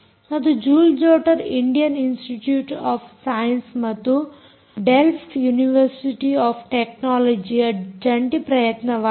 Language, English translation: Kannada, by the way, joule jotter is a joint effort of the indian institute of science and the delft university of technology right